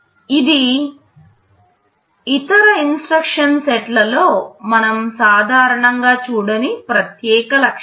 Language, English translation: Telugu, This is a unique feature that we normally do not see in other instruction sets